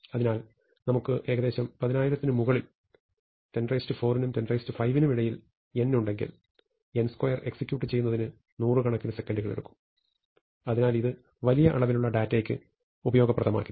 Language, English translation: Malayalam, So, if we have n above about 10000, somewhere between 10 to the 4 and 10 to the 5, then n square is going to take several hundred seconds to execute, and therefore, this is not going to be useful for large bodies of data